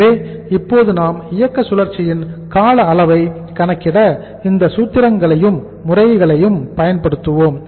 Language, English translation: Tamil, So now let us say use these formulas and these methods to calculate the duration of our operating cycle